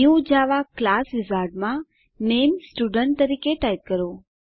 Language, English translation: Gujarati, In the New Java Class wizard type the Name as Student